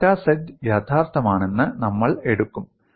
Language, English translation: Malayalam, So you could have, delta z is real